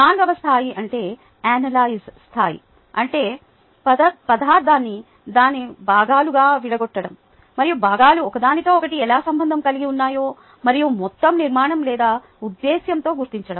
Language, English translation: Telugu, the fourth level is the analyze level, which means breaking material into its constituent parts and detecting how the paths relate to one another and to an overall structure or purpose